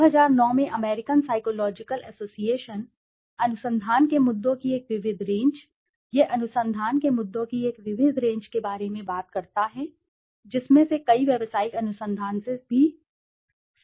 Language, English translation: Hindi, The American Psychological Association in 2009, a diverse range of research issues, it talks about a diverse range of research issues, many of which also relate to business research